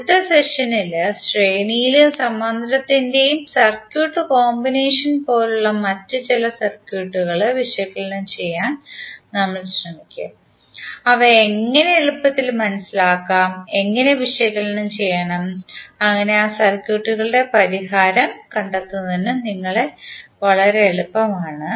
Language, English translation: Malayalam, In next session we will to try to analyze some other circuits which are like a circuit combination of series and parallel and how to make them easier to understand and how to analyze so that it is very easy for us to find the solution of those circuits